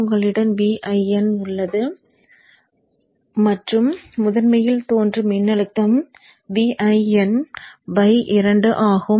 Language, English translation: Tamil, So you have V in here you have V in by 2 and what voltage appears across the primary is V in by 2